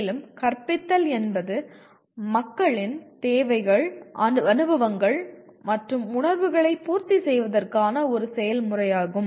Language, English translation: Tamil, And further teaching is a process of attending to people’s needs, experiences and feelings